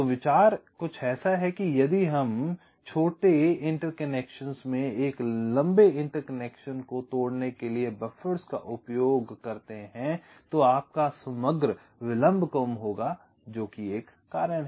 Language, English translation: Hindi, so the idea is that if we use buffers to break a long interconnection into shorter interconnections, your overall delay will be less